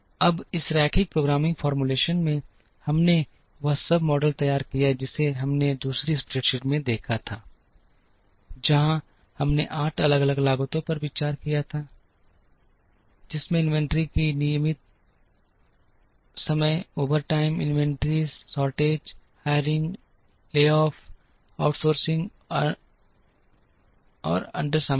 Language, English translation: Hindi, Now, in this linear programming formulation, we have modeled all that we saw in the second spreadsheet, where we considered 8 different costs, which included cost of inventory regular time, overtime, inventory, shortage, hiring, laying off, outsourcing and under utilization